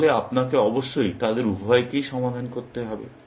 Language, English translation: Bengali, So, you will have to solve both of them, essentially